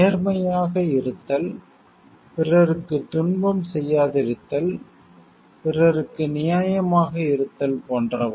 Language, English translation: Tamil, Like be honest, do not cause suffering to other people, be fair to others etcetera